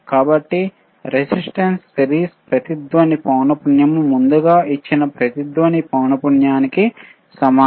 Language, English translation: Telugu, tTherefore, the resistance series resonantce frequency is same as the resonant frequency which iwas given ea earrlier right